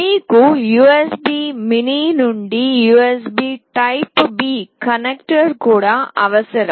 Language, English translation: Telugu, You also required the USB mini to USB typeB connector